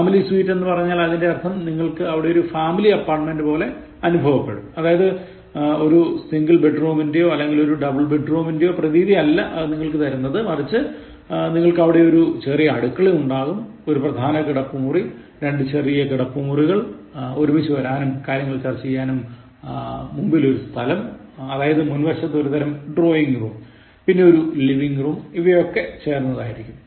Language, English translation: Malayalam, So when you refer to family suite in a hotel, it means that you will just like feel like a family apartment it will not give you a feeling of a single bedroom, double bedroom, you may even have a small kitchen, will have one master bedroom, two small bedrooms, there is a front space for coming and discussing, it’s a kind of drawing room, kind of front one, the living room is given to you